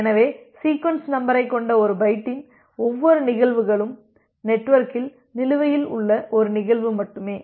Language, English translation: Tamil, So, every instances of a byte with the sequence number is only one such instances outstanding in the network